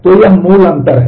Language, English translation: Hindi, So, this is the basic difference